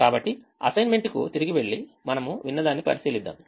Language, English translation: Telugu, so let's go back to the assignment and check what we did hear